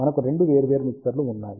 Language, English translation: Telugu, We have two separate mixtures